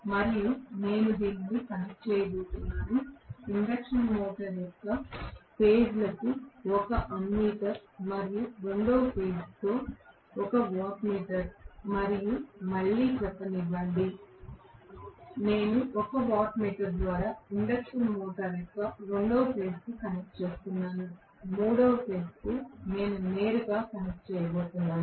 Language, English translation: Telugu, Now, I am going to connect this through let us say a watt meter to the phases of the induction motor along with an ammeter and second phase let me say again I am connecting through a watt meter to the second phase of the induction motor, third phase I am going to connect it directly